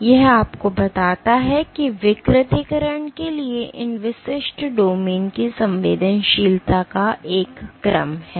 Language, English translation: Hindi, So, this tells you that there is a gradation of sensitivity of these individual domains to denaturation